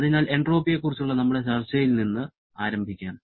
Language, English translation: Malayalam, So, let us start with our discussion on entropy